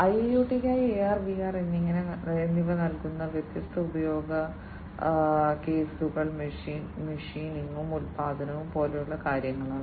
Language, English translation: Malayalam, The different use cases that are served by AR and VR for IIoT are things like machining and production